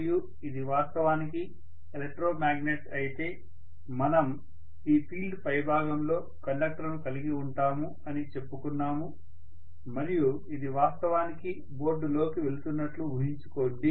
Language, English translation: Telugu, and we said that if it is actually an electromagnet we are going to have the conductors placed here, placed on the top of this field and imagine that this is actually going into the board like this